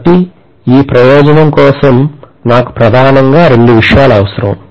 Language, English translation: Telugu, So I need mainly two things for this purpose